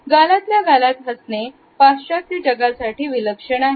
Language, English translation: Marathi, The twisted smile is peculiar to the western world